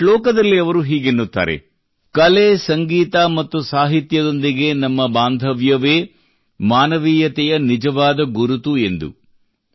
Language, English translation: Kannada, In one of the verses he says that one's attachment to art, music and literature is the real identity of humanity